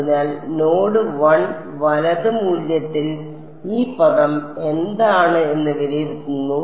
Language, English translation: Malayalam, So, what is this term evaluated at node 1 right